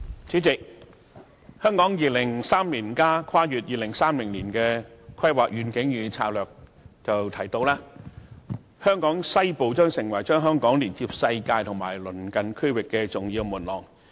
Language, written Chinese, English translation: Cantonese, 主席，《香港 2030+》提到，"香港西部......將成為把香港連接世界及鄰近區域的重要門廊。, President Hong Kong 2030 mentions that the western part of the territory will become an international and regional gateway to Hong Kong